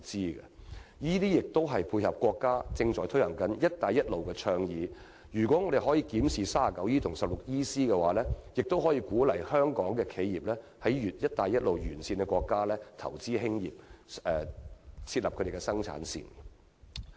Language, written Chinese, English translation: Cantonese, 這樣做亦是為了配合國家正在推動的"一帶一路"倡議，如果政府檢視《稅務條例》第 39E 條及第 16EC 條，將有助鼓勵香港企業在"一帶一路"沿線國家投資設立生產線。, Incidentally conducting the said review can also dovetail with Chinas ongoing Belt and Road Initiative as Hong Kong enterprises will be encouraged to invest in the setting up of production lines in the Belt and Road countries